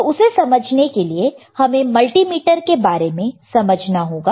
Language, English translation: Hindi, So, to understand this thing we have something called multimeter